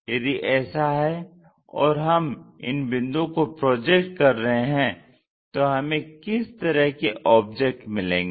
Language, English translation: Hindi, If that is the case if we are projecting these points, what kind of object we are going to get